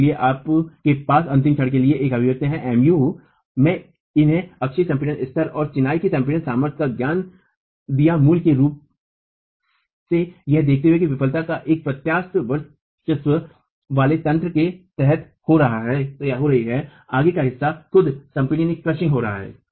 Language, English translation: Hindi, And therefore now you have an expression for the ultimate moment MU given these, given the knowledge of the axial compression level and the compressive strength of masonry basically considering that failure is occurring under a flexure dominated mechanism of toe crushing itself